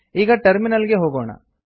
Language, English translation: Kannada, Let us go to the Terminal now